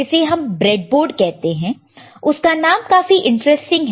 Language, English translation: Hindi, This is called breadboard, breadboard name is very interesting right